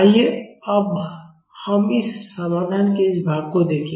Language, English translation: Hindi, Now, let us look at this part of this solution